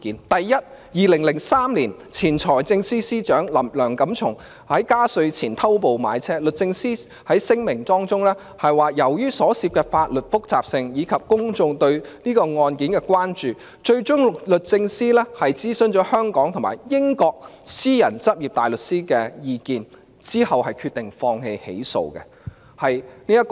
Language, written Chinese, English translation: Cantonese, 第一，在2003年，前財政司司長梁錦松在加稅前偷步買車，律政司在聲明中表示，由於所涉的法律複雜性，以及公眾對這宗案件的關注，最終律政司諮詢香港和英國私人執業大律師的意見，然後決定放棄起訴。, The first case took place in 2003 involving the former Financial Secretary Mr Antony LEUNG who jumped the gun in purchasing a car shortly before a tax increase . DoJ said in a statement that in view of the complexity of the points of law involved and the level of public concern on the case DoJ had sought advice from counsel in private practice in Hong Kong and England before it came to the decision that no prosecution should be brought against Mr LEUNG